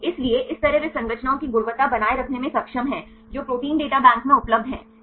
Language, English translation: Hindi, So, in this way they are able to maintain the quality of the structures which are available in the Protein Data Bank